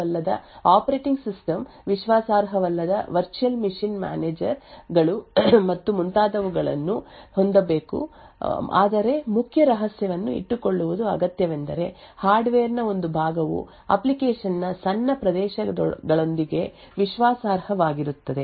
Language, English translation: Kannada, So, you could still have an untrusted operating system, untrusted virtual machine managers and so on but what is required keep the key secret is just that the hardware a portion of the hardware is trusted along with small areas of the application